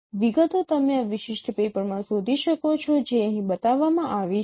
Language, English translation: Gujarati, So the details you can find in this particular paper which has been shown here